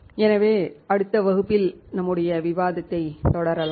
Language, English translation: Tamil, So, let us continue our discussion in the next class